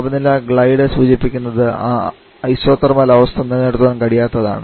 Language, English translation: Malayalam, The performance the temperature glide refers to that we may not be able to maintain that isothermal condition